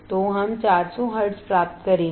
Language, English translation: Hindi, So, we will get 400 hertz